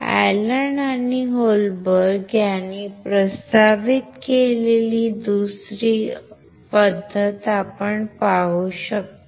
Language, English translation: Marathi, We can see another method that is proposed by Allen and Holberg